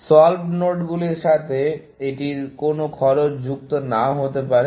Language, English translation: Bengali, The solved nodes may not have any cost associated with it